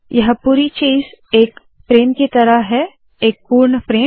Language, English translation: Hindi, The whole thing is in the form of a frame – a complete frame